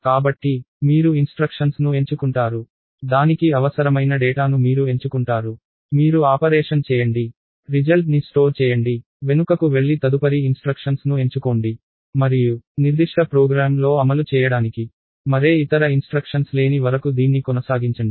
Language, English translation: Telugu, So, you pick the instruction, you pick the data that is required for it, you do the operation, store the result, go back and pick the next instruction and keep doing this till there are no more instructions for the particular program